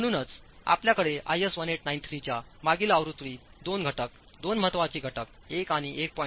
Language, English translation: Marathi, So, you have in the previous version of IS 1893 2 factors, 2 importance factors 1 and 1